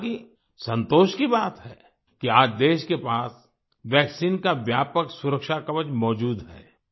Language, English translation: Hindi, However, it is a matter of satisfaction that today the country has a comprehensive protective shield of a vaccine